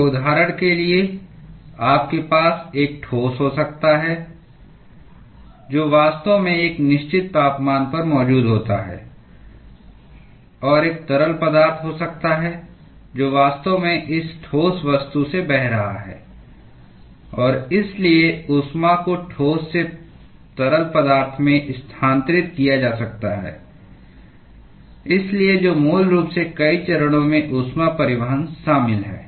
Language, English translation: Hindi, So, for instance, you may have a solid which is actually present at a certain temperature and there may be a fluid which is actually flowing past this solid object and so, the heat might be transferred from the solid to the fluid, so which basically involves heat transport in multiple phases